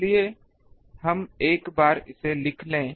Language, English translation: Hindi, So, once we write this